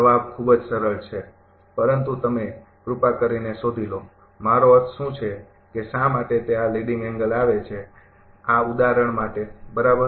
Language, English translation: Gujarati, Answer is very simple, but you please find out, what is a I mean why it is coming leading angle for this example right